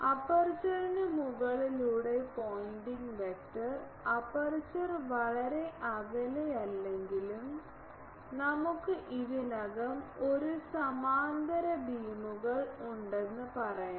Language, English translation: Malayalam, Pointing vector over aperture that actually here we can say that though aperture is not very far away, but we are having the already a parallel beams